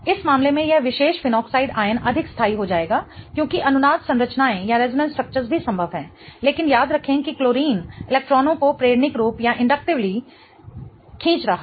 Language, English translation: Hindi, In this case this particular phenoxide ion will be more stabilized because resonance structures also possible but remember that chlorine is pulling electrons inductively